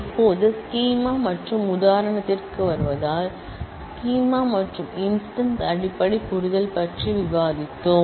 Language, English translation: Tamil, Now, coming to the schema and instance, we have discussed about the basic understanding of schema and instance